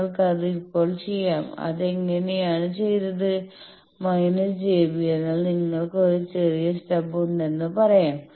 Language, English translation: Malayalam, So, that you can do now how you can do that minus j b bar means if you have a let us say short stub